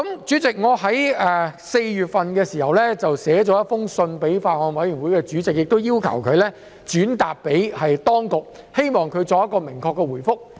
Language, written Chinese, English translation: Cantonese, 此外，我亦曾在4月致函法案委員會主席，請他向當局轉達這項關注，並要求明確的回覆。, I also wrote to the Chairman of the Bills Committee in April asking him to relay this concern to the authorities and urge for a clear reply